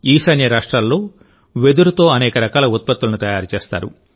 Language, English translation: Telugu, Many types of products are made from bamboo in the Northeast